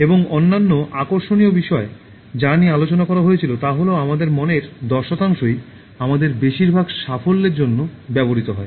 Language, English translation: Bengali, And the other interesting factor that was discussed was this, that only ten percent of our mind is used for most of our accomplishments